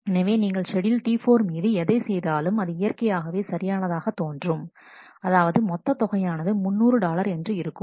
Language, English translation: Tamil, So, whatever way we actually do the schedule T 4 will always correctly show, that the sum is three hundred dollar